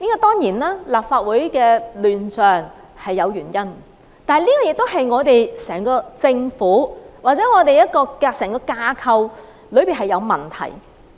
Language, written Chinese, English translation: Cantonese, 當然，立法會的亂象是有原因的，這個也是整個政府或整個架構的問題。, Of course there is a reason for the chaos in the Legislative Council . This is also the reason for the problem of the entire Government or the entire establishment